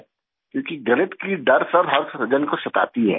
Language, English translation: Hindi, Because the fear of mathematics haunts everyone